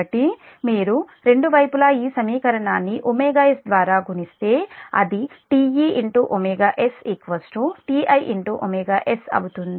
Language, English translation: Telugu, so if you multiply both sides this equation by omega s, it will be t omega s equal to t i omega s